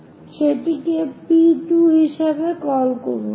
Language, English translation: Bengali, So, call that one as P 2